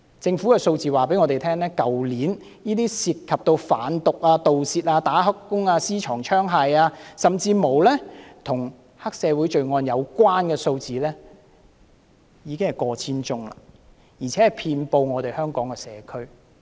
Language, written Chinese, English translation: Cantonese, 政府的數字告訴我們，去年涉及犯毒、盜竊、"打黑工"、私藏槍械、甚至與黑社會罪案的有關數字已經過千宗，更遍布香港的社區。, Government figures tell us that they were involved in over a thousand cases relating to drug trafficking theft illegal employment possession of firearms and even triad - related crimes last year and they scatter in various communities all over Hong Kong such as Yau Tsim Mong Yuen Long and some places in New Territories North